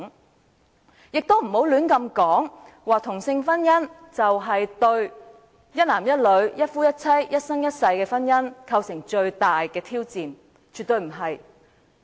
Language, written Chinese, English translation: Cantonese, 大家也不要亂說同性婚姻是對一男一女，一夫一妻，一生一世的婚姻制度最大的挑戰，絕對不是。, Likewise Members must not make such frivolous remarks as same - sex marriage poses the biggest challenge to the marriage institution of lifelong monogamy between one man and one woman . This is absolutely not true